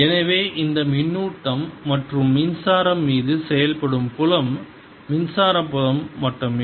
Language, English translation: Tamil, so the only work that is done on these charges and currents is by the electric field